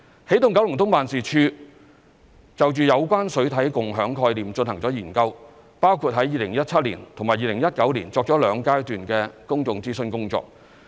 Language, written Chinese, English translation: Cantonese, 起動九龍東辦事處就有關水體共享概念進行了研究，包括於2017年及2019年作兩階段的公眾諮詢工作。, The Energizing Kowloon East Office has conducted studies on water body co - use initiatives including the two stages of public consultation in 2017 and 2019